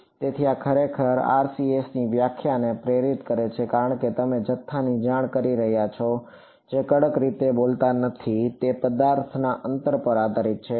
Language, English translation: Gujarati, So, this is actually what motivated the definition of RCS because you are reporting a quantity that does not strictly speaking depend on the distance to the object